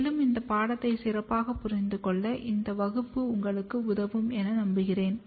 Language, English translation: Tamil, And, I hope that this session will help you in understanding the topic much better